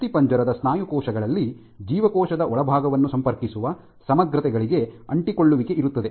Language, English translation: Kannada, So, in skeletal muscle cells you have in adhesion to integrins which link the inside